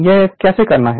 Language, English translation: Hindi, So, how we will do it